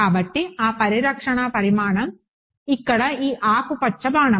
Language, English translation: Telugu, So, that conserve quantity is this green arrow over here